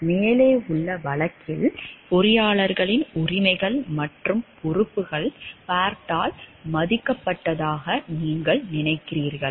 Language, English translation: Tamil, In the case above, do you think that the rights and responsibilities of the engineers were respected by Bart